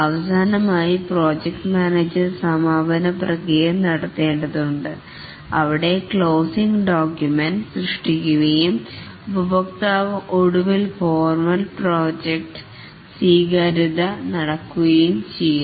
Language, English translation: Malayalam, And finally, the project manager needs to carry out the closing processes where the closing documents are created and the customer finally gives the formal acceptance of the project